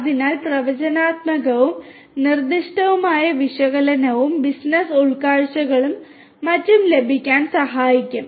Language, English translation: Malayalam, So, both predictive and prescriptive analytics can help in getting business insights and so on